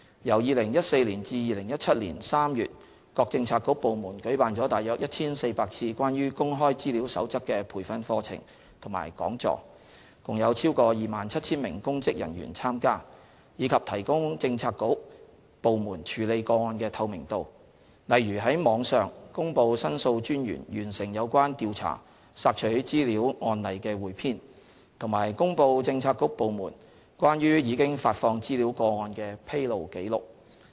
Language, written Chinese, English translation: Cantonese, 由2014年至2017年3月各政策局/部門舉辦了約 1,400 次關於《守則》的培訓課程及講座，共有超過 27,000 名公職人員參加；以及提高政策局/部門處理個案的透明度，例如於網上公布申訴專員完成有關調查索取資料案例的彙編，以及公布政策局/部門關於已發放資料個案的"披露記錄"。, Between 2014 and March 2017 about 1 400 training programmes and talks relating to the Code have been organized by bureauxdepartments with the participation of more than 27 000 public officers . The transparency of handling requests by bureauxdepartments has also been enhanced for example by publishing online compendium of cases on complaints relating to requests for information upon conclusion of investigation by The Ombudsman and publishing disclosure logs relating to requests for information released by bureauxdepartments